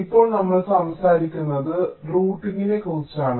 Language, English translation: Malayalam, and now we are talking about routing